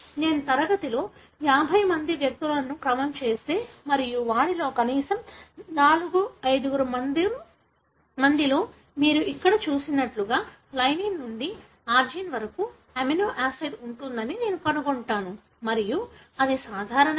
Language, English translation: Telugu, If I sequence 50 individuals in the class and I would find that at least 4, 5 of them would have amino acid like what you have seen here, lysine to arginine and they are normal